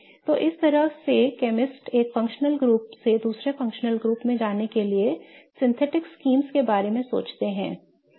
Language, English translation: Hindi, So, this is how chemists think of synthetic schemes to go from one functional group to another